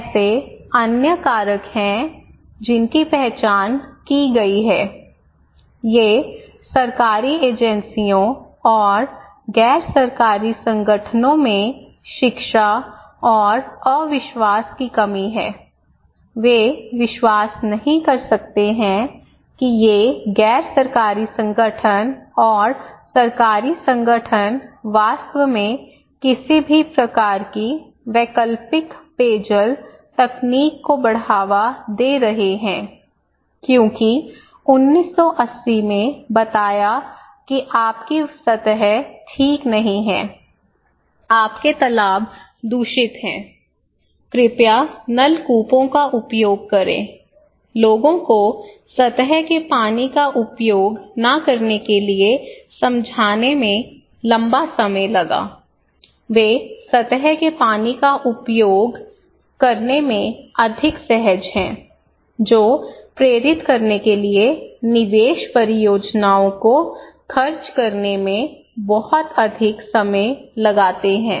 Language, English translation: Hindi, Also, there are other factors people identified, these are lack of education, distrust and distrust in government agencies and NGOs, they cannot believe that these NGOs, nongovernmental organizations and governmental organizations are really honest promoting any kind of alternative drinking water technology because in 1980’s they were told that okay your surface, your ponds are contaminated, please use tube wells, it took a long time to convince people not to use surface water, they are more, more comfortable, much, much more comfortable using surface water which took much longer time spending a lot of investment projects to motivate people to use tube wells not surface water